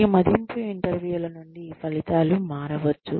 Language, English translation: Telugu, The outcomes can vary, from these appraisal interviews